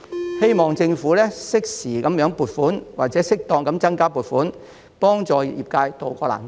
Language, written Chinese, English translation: Cantonese, 我希望政府適時撥款或適當增加撥款，以幫助業界渡過難關。, I hope the Government will timely allocate or duly increase the funding to help the industry tide over the hard times